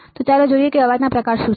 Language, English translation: Gujarati, So, let us see what are the type of noises